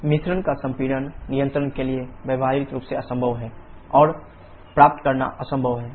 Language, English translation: Hindi, Compression of the mixture is practically impossible to control and impossible to achieve